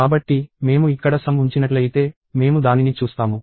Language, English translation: Telugu, So, if I put sum here, I will see that